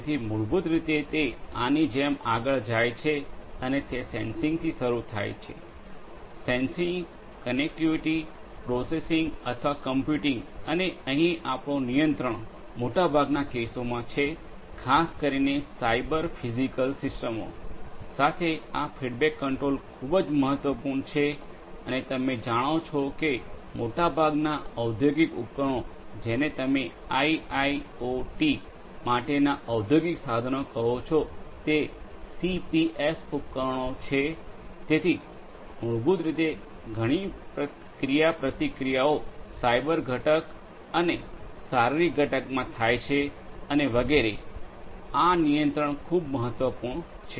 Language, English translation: Gujarati, So, basically it goes on like this that it starts with sensing; sensing, connectivity, processing or computing and here we have the control in most of the cases particularly with Cyber Physical Systems this control feedback is very important and most of the industrial you know industrial equipments for IIoT are CPS equipments, so, basically where there is a lot of interaction between the cyber component and the physical component and so, this control is very important